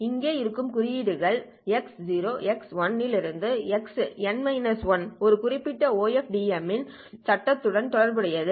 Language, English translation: Tamil, So here you had the symbols which were x0 x1 xn minus 1 corresponding to one particular OFDM frame